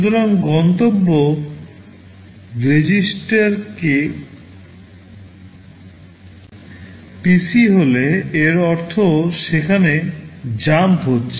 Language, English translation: Bengali, So, if the destination register is PC it means you are jumping there